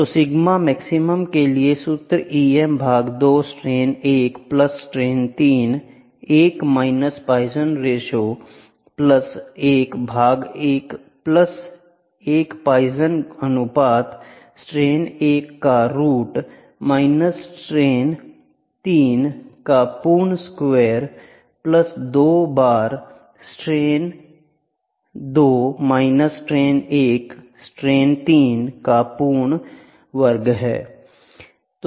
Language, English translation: Hindi, So, sigma max the formula goes like E m by 2 strain 1 plus strain 3 1 minus poisons ratio plus 1 by 1 plus poisons ratio root of strain 1 minus strain 3 the whole square plus 2 times strain 2 minus strain 1 strain 3 the whole square